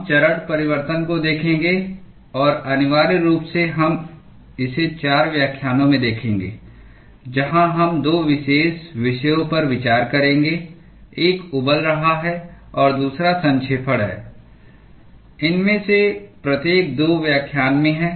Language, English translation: Hindi, We will look at phase change and essentially, we will be looking at it in 4 lectures, where we will consider 2 particular topics one is boiling and the other one is condensation each of these in 2 lectures